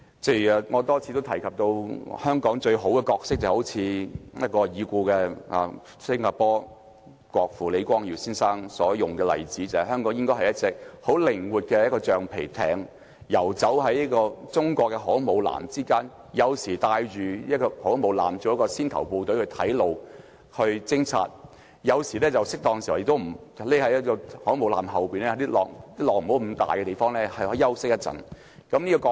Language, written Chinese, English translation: Cantonese, 正如我多次提到，香港最好的角色，就像已故新加坡國父李光耀先生所引用的例子：香港應該是一隻很靈活的橡皮艇，游走於中國的航空母艦之間，有時帶領航空母艦，作為先頭部隊去探路、去偵察；適當時候亦要躲在航空母艦後面，在不太大浪的地方休息一會。, As I have pointed out time and again Hong Kong is best suited for the role mentioned by the late Mr LEE Kuan - yew the founding father of Singapore Hong Kong should be a flexible pneumatic boat sailing among Chinas aircraft - carriers sometimes leading the fleet as the vanguard for exploring and gathering intelligence while on other occasions taking a rest behind the aircraft - carriers where the torrents are less raging